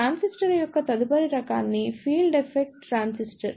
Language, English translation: Telugu, Next type of transistor is Field Effect Transistor